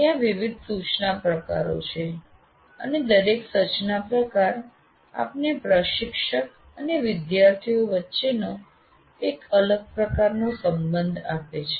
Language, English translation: Gujarati, So you have different instruction types and what happens is the way each instruction type gives you a different type of relationship between the instructor and the students